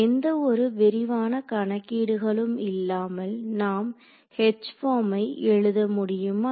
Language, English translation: Tamil, So, can I without any detailed calculations write down the form of H there